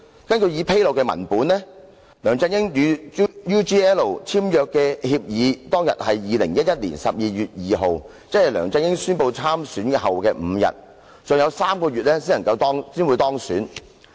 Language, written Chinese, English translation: Cantonese, 根據已披露的文本，梁振英與 UGL 簽訂協議當日是2011年12月2日，即梁振英宣布參選後的5天，他尚有3個月才當選。, According to the document disclosed LEUNG Chun - ying signed the agreement with UGL on 2 December 2011 ie . five days after LEUNG Chun - ying announced that he would stand for election . He was elected three months later